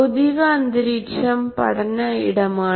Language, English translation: Malayalam, Physical environment actually is the learning spaces